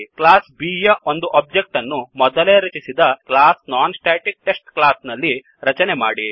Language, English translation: Kannada, Create an object of class B in the class NonStaticTest already created